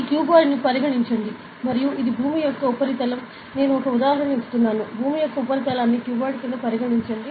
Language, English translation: Telugu, So, consider this cuboid and this is the surface of earth, I am just giving an example ok; this is the surface earth and considered a cuboid like this